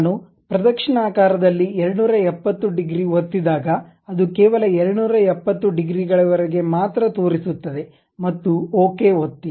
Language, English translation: Kannada, When I click 270 degrees in the clockwise direction, it showed only up to 270 degrees and click Ok